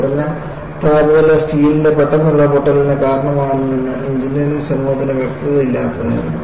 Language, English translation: Malayalam, The engineering community was clueless that low temperature can cause brittle fracture of steel